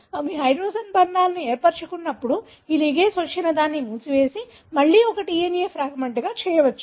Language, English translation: Telugu, When they do form hydrogen bonds, this ligase can come and seal it and make it again as a single DNA fragment